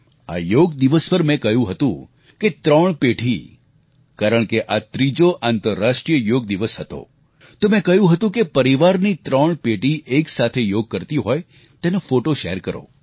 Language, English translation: Gujarati, On this Yoga Day, since this was the third International Day of Yoga, I had asked you to share photos of three generations of the family doing yoga together